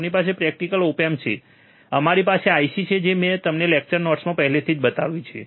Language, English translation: Gujarati, We have a practical op amp, we have IC that I have already shown it to you in the lecture notes